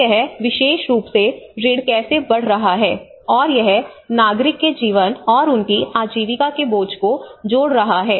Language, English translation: Hindi, So how we are able to, how this particular debt is increasing, and it is adding to the burden of the citizen's lives and their livelihoods